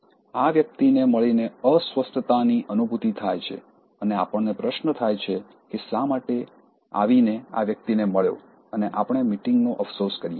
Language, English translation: Gujarati, There is an uncomfortable feeling having met this person and we wonder why for instance we came and met this person and we regret over the meeting